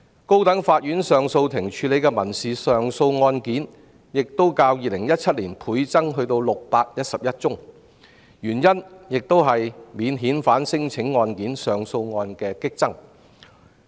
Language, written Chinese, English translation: Cantonese, 高等法院上訴法庭處理的民事上訴案件亦較2017年倍增至611宗，原因是免遣返聲請案件上訴案激增。, The number of appeals on civil matters handled by the Court of Appeal CA of the High Court had also doubled the same figure in 2017 to 611 owing to the surge of appeal cases on non - refoulement claims